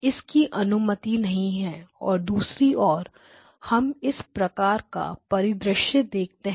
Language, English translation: Hindi, So, this is not allowed now on the other hand can we have a scenario like this